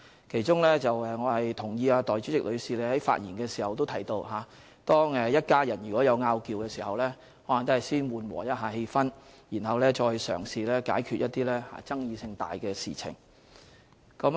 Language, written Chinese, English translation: Cantonese, 其中，我同意代理主席的發言提到，當一家人有"拗撬"時，應先緩和氣氛，然後再嘗試解決一些爭議性大的事情。, In this connection I agree with the Deputy President who said in her speech that when there were differences of opinion among family members efforts should first be made to break the ice before making attempts to resolve issues of great controversies